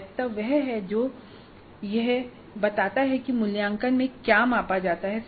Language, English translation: Hindi, Validity is the degree to which the assessment measures what it purports to measure